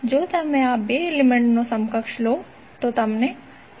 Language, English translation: Gujarati, If you take the equivalent of these 2 elements, you will get 10